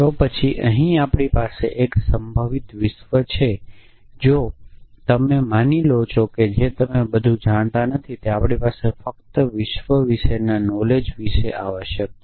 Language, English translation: Gujarati, Then what one should say is that there a possible world, so if you assuming that everything that you do not know you we have only a about the knowledge about the world essentially